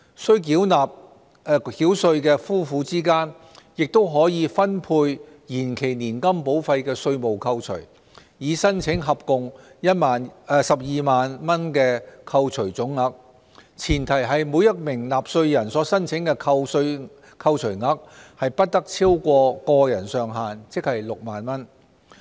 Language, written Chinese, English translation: Cantonese, 須繳稅的夫婦之間亦可分配延期年金保費的稅務扣除，以申請合共12萬元的扣除總額，前提是每名納稅人所申請的扣除額不超過個人上限，即6萬元。, A taxpaying couple can also allocate tax deductions for deferred annuity premiums amongst themselves in order to claim the total deductions of 120,000 provided that the deductions claimed by each taxpayer do not exceed the individual limit which is 60,000